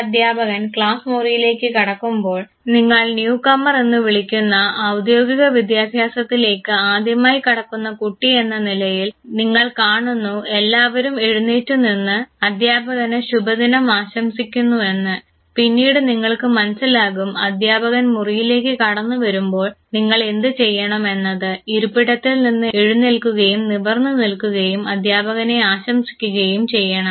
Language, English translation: Malayalam, Now for instance recollect your school days a teacher enters into the classroom and as a what you call new comer who is being exposed to formal education for the first time you see that everybody else has stood up wishing good morning teacher, and then you realize that once teacher enters room what you have to do is to leave your seat, stand erect and wish to the teacher